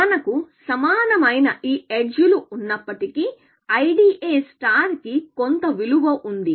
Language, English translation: Telugu, Even if we have these edges of equal cost, IDA star has some value